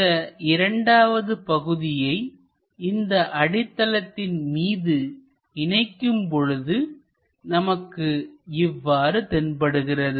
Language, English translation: Tamil, Once we attach this second part on top of that it looks like that